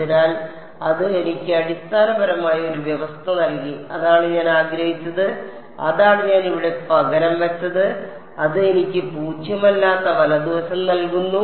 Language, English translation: Malayalam, So, that gave me a condition for u prime, basically that is what I wanted and that u prime is what I substituted over here and that gives me a non zero right hand side right